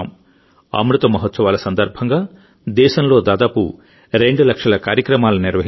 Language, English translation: Telugu, About two lakh programs have been organized in the country during the 'Amrit Mahotsav'